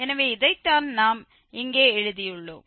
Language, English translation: Tamil, So, this is what we have written here